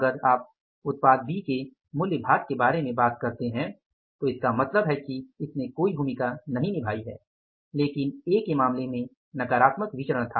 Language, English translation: Hindi, If you talk about the price part of the product B it has not played any role but in case of the A it was a negative variance but B was a favorable variance